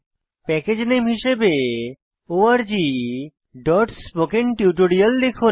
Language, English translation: Bengali, Type the Package Name as org.spokentutorial Then click on Next